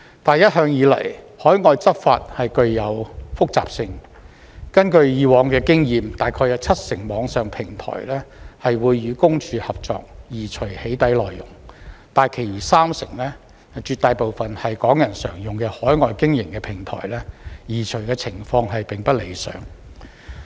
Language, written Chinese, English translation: Cantonese, 但是，一向以來，海外執法具有複雜性，根據以往經驗，大概有七成網上平台會與私隱公署合作，移除"起底"內容，但其餘三成，絕大部分是港人常用的在海外經營的平台，移除情況並不理想。, However overseas enforcement has always been complicated . According to past experience about 70 % of online platforms would cooperate with PCPD in removing doxxing content but for the remaining 30 % the vast majority of which are platforms commonly used by Hong Kong people and operated overseas the removal of doxxing content is not satisfactory